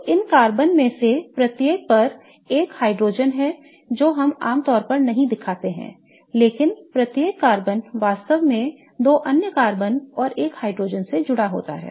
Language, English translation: Hindi, So, there is a hydrogen on each one of these carbons which we typically do not show but each of the carbons is really bonded to two other carbons and one hydrogen